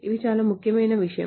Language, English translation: Telugu, This is a very important thing